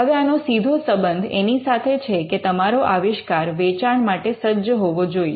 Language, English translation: Gujarati, Now, this had a direct connect with the fact that what you are inventing should be sellable